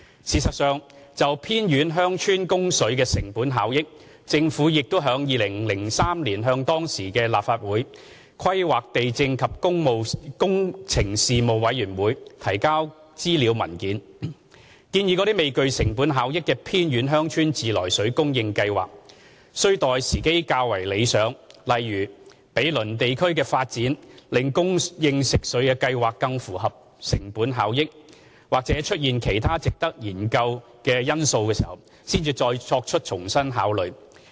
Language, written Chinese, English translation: Cantonese, 事實上，就偏遠鄉村供水的成本效益，政府亦於2003年向當時的立法會規劃地政及工程事務委員會提交資料文件，建議未具成本效益的偏遠鄉村自來水供應計劃待時機較為理想，例如毗鄰地區的發展令供應食水計劃更符合成本效益，或出現其他值得研究的因素時，才再作重新考慮。, The Government submitted an information paper on the cost - effectiveness of supplying treated water to remote villages to the then Panel on Planning Lands and Works of the Legislative Council in 2003 . It proposed that for those remote villages where treated water supply schemes were still not cost - effective the schemes should be reconsidered at a more opportune time when nearby developments rendered the provision of treated water supply more cost - effective or when other factors that warranted further study emerged